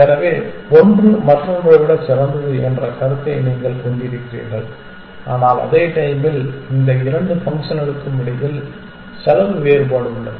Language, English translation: Tamil, So, then you have a notion of one being better than the other, but at the same time you have the cost difference between the two in this case these two functions